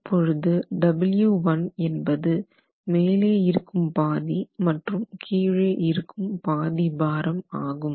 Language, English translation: Tamil, So, if you look at W1, W1 is lumping half the mass from the top and half the mass from the bottom